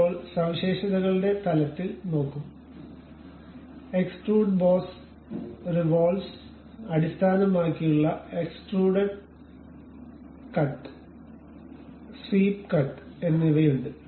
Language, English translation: Malayalam, Now, see at the features level there is something like extruded boss revolve base extruded cut and swept cut